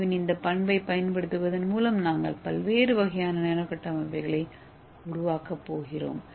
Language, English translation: Tamil, So using this we are going to make different kind of nano structures